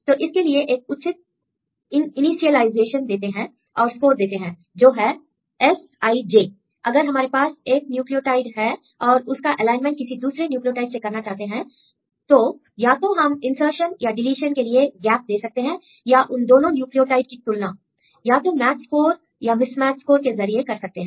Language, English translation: Hindi, So, they give proper initialization and they give a score that is Si,j, if you have one nucleotide and if you want to make the alignment compared with the previous ones either we can give gap for insertion or for deletion or you can compare these 2 nucleotides giving the match score or mismatch score